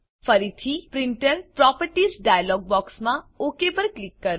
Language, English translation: Gujarati, Again click OK in the Printer Properties dialog box